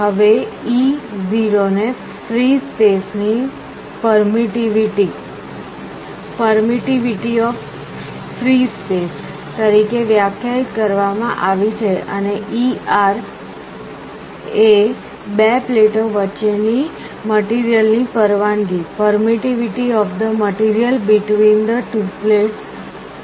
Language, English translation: Gujarati, Now, e 0 is defined as the permittivity of free space, and e r is the permittivity of the material between the two plates